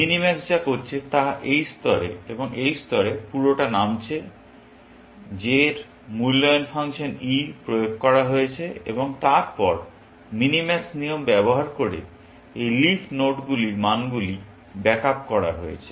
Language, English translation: Bengali, What minimax is doing is going down all the way, to this level and at this level, the evaluation function e of j is applied, and then, the values of these leaf nodes are backed up using the minimax rule